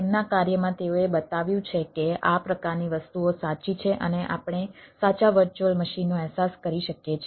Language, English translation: Gujarati, in their work they have shown that ah, this sort of things are true and we can realize a true virtual machine